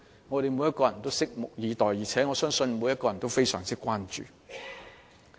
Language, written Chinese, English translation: Cantonese, 我們每個人均拭目以待，而我亦相信每個人亦對此非常關注。, Every one of us will wait and see and I believe each and every member of the community will keep a close eye on this